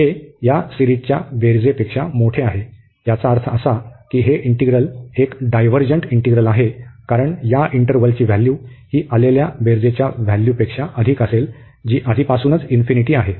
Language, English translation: Marathi, This is greater than this sum of the series, which is infinity, so that means this integral is a divergent integral, because the value of this interval will b larger than the value of the sum, which is coming already to infinity